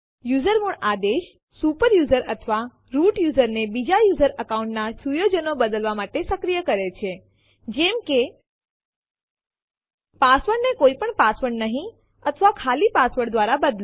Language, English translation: Gujarati, The usermod command Enables a super user or root user to modify the settings of other user accounts such as Change the password to no password or empty password